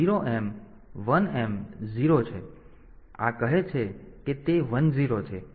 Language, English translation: Gujarati, So, this says that it is 1 0